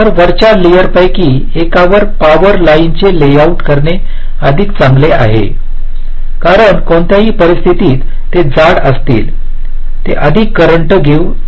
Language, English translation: Marathi, so it is better to layout the power lines on one of the top layers because they will be, they will be thicker in any case, they can carry more currents